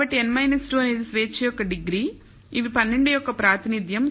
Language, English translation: Telugu, So, n minus 2 is the degrees of freedom with represents 12